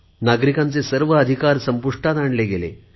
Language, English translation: Marathi, All the rights of the citizens were suspended